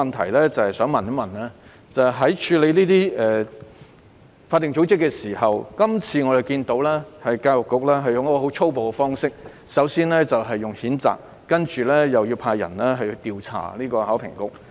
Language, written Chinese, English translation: Cantonese, 我的補充質詢是關於處理這些法定組織的手法，我們看到教育局今次使用了很粗暴的方式，首先作出譴責，接着派員調查考評局。, My supplementary question is about the way of handling these statutory bodies . As we can see this time the Education Bureau has adopted a brutal approach . It first made a condemnation and then sent officers to investigate HKEAA